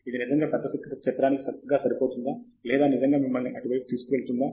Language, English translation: Telugu, Is it really fitting into the big picture nicely or is it really taking you away